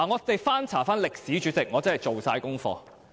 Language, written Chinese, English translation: Cantonese, 代理主席，我真是做足功課。, Deputy Chairman I have done my homework and have looked up past records